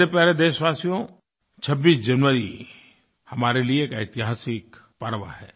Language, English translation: Hindi, My dear countrymen, 26th January is a historic festival for all of us